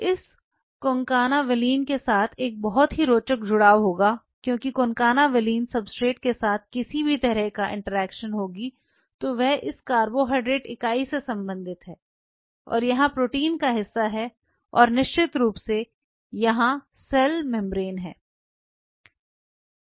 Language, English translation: Hindi, There will be a very interesting adhesion with this concana valine because there will be any interactions between the concana valin substrate belong with the carbohydrate entity of it and here is the protein part of it and of course, here is the cell membrane